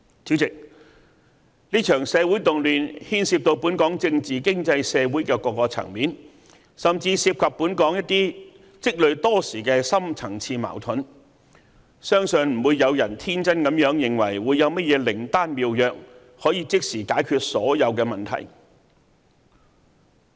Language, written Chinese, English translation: Cantonese, 主席，這場社會動亂牽涉到本港政治、經濟、社會的各個層面，甚至涉及本港一些積累多時的深層次矛盾，相信不會有人天真地認為會有甚麼靈丹妙藥，可以即時解決所有問題。, President the current social unrest involves various political economic and social aspects in Hong Kong it even involves some deep - seated conflicts in society therefore I believe that nobody would be naïve enough to think that there is a panacea for curing all of the problems at once